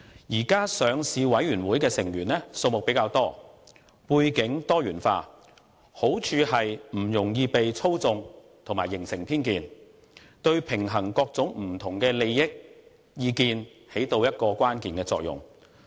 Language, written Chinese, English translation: Cantonese, 現時上市委員會的成員數目比較多，背景多元化，好處是不容易被操縱及形成偏見，對平衡各種不同利益的意見發揮關鍵作用。, The existing Listing Committee comprises more members with diversified backgrounds . The merit of this is that it is not susceptible to manipulation and will not form prejudice easily . This is critical to balancing the views of people with various interests